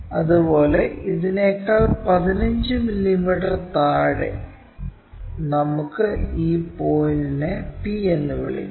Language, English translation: Malayalam, Similarly, 15 mm below this one also, so let us call this point p